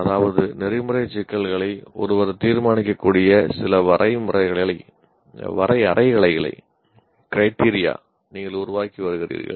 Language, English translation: Tamil, That means you are developing some criteria based on which one can judge the ethical issues